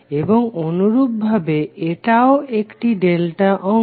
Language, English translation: Bengali, And similarly, this also is a delta connected section